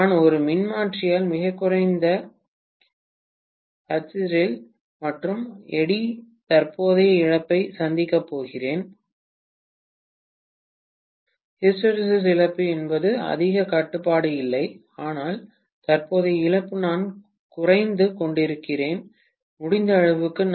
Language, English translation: Tamil, And I am going to have very low hysteresis and eddy current loss in a transformer, hysteresis loss I don’t have much control but eddy current loss I am decreasing as much as possible